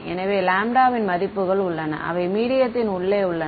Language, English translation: Tamil, So, there are values of lambda which are inside the medium right